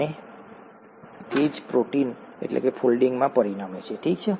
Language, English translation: Gujarati, And that is what results in protein folding by itself, okay